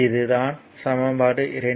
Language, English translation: Tamil, So, equation 2